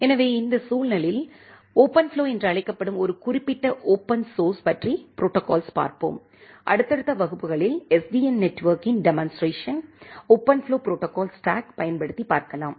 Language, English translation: Tamil, So, in this context, we will look into a specific open source protocol implementation, which is called OpenFlow and in subsequent classes, we look into a demonstration of SDN network by utilizing OpenFlow protocol stack